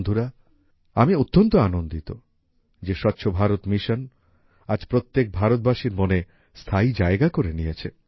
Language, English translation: Bengali, Friends, I am happy that the 'Swachh Bharat Mission' has become firmly rooted in the mind of every Indian today